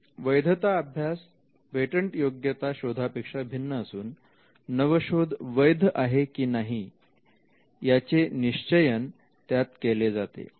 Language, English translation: Marathi, A validity study is much different from a patentability search, and it involves determining whether an invention is valid or not